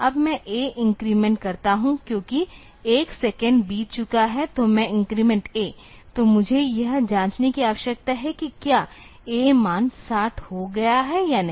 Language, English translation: Hindi, Now I increment A because 1 second has passed; so, I increment A; so, that is I need to check whether the A value has become 60 or not